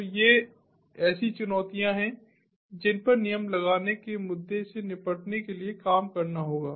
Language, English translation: Hindi, so these are the challenges that have to be worked upon in order to deal with the rule placement issue